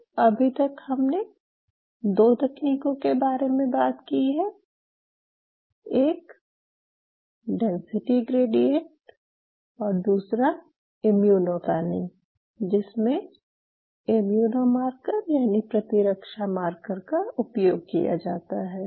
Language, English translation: Hindi, We have talked about density gradient and we have talked about immuno panning where you are using an immune marker